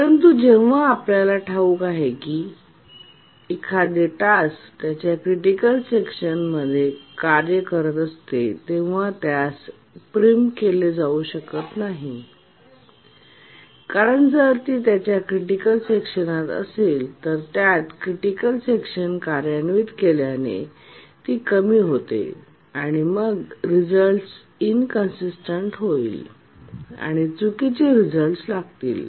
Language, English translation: Marathi, But then we know that when a task is executing its critical section, it should not be preempted because if it is inside its critical section, so executing its critical section and it gets preempted, then the result will become inconsistent, wrong results